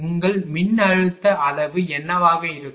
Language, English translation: Tamil, And what will be your ah voltage magnitude